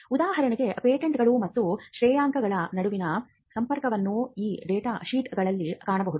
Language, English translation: Kannada, For instance, the link between patents and ranking can be found in these data sheets